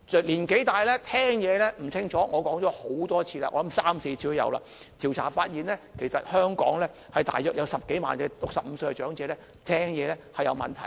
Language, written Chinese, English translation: Cantonese, 年紀大聽力模糊，我說過很多次，應該有三四次，調查發現香港大約有10多萬65歲以上長者，聽力有問題。, When we age we cannot hear clearly . I have repeatedly said perhaps three to four times in total that according to a survey there are about 100 000 - odd elders aged 65 or above suffering from hearing problems